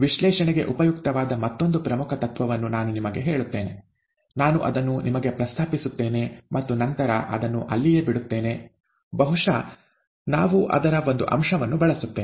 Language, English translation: Kannada, Let me tell you another important principle that will be useful for analysis, I will just mention it to you and then leave it there, may be we will use one aspect of it